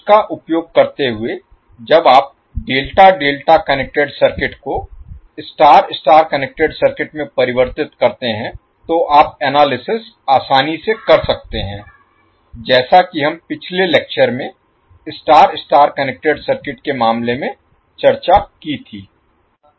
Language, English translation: Hindi, So using that when you convert delta delta connected circuit into star star connected circuit, you can simply analyze as we discuss in case of star star connected circuit in the last lecture